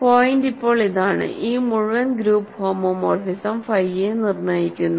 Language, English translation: Malayalam, The point is a now determines the entire group homomorphism phi